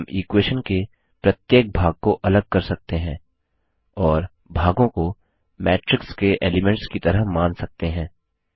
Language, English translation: Hindi, We can separate each part in the equation and treat the parts as elements of a matrix